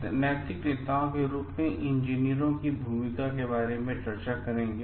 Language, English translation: Hindi, Now we will discuss about the role of engineers as moral leaders